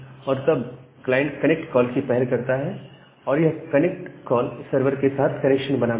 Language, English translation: Hindi, So, the client initiate a connect call there and this connect makes a connection towards the server